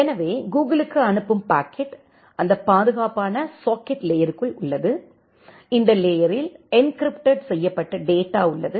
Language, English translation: Tamil, So, the packet which is sending to Google it is inside that secure socket layer that layer which is the encrypted data